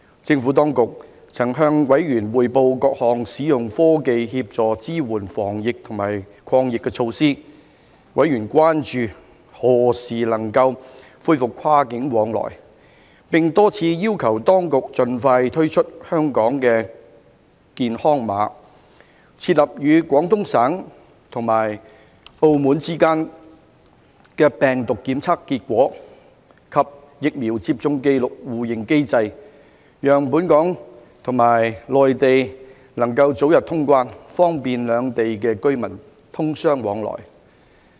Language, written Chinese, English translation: Cantonese, 政府當局曾向委員匯報各項使用科技協助支援防疫及抗疫的措施，委員關注何時能夠恢復跨境往來，並多次要求當局盡快推出"香港健康碼"，設立與廣東省及澳門之間的病毒檢測結果及疫苗接種紀錄互認機制，讓本港和內地能夠早日通關，方便兩地居民通商往來。, The Administration briefed members on various measures to help support the prevention and combat against the epidemic with the use of technology . Members were concerned about the resumption of cross - boundary travel and repeatedly requested the Administration to expedite the introduction of the Hong Kong Health Code and establish a mechanism for mutual recognition of virus testing results and vaccination records among Hong Kong Guangdong and Macao so as to facilitate the early quarantine - free arrangements between Hong Kong and the Mainland for business travel